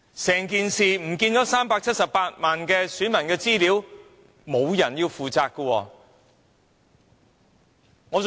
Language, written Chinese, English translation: Cantonese, 這378萬名選民的資料非常重要。, The personal particulars of the 3.78 million electors are very important information